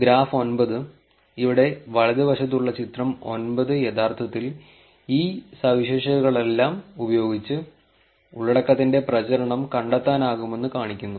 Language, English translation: Malayalam, The graph 9, the figure 9 on the right hand side here actually shows you that it is possible to find out the propagation of the content using all these features right